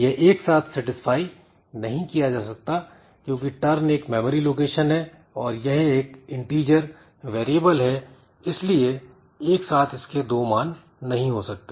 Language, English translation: Hindi, So, so this cannot be satisfied simultaneously because turn is a memory location and as I said that since it is an integer variable so it cannot have two values simultaneously